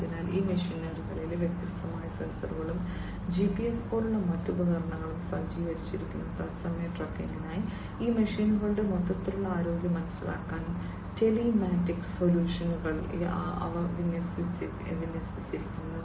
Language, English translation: Malayalam, So, these machinery are equipped with different sensors and different other devices like GPS etcetera for real time tracking, for understanding the overall health of these machines, telematic solutions are deployed by them